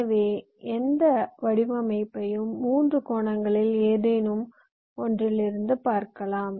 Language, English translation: Tamil, so any design can be viewed from any one of the three angles